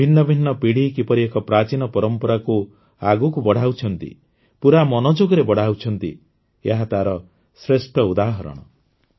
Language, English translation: Odia, This is a wonderful example of how different generations are carrying forward an ancient tradition, with full inner enthusiasm